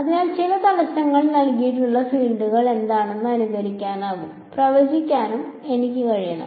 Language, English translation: Malayalam, So, I want to be able to simulate and predict what are the fields given some obstacles